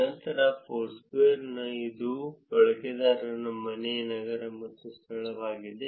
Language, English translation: Kannada, Then Foursquare it is user home city venue and venue